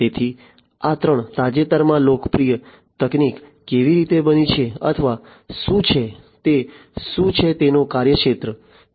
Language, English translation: Gujarati, So, this is how these three you know recently popular technologies have become or what is what is what is there scope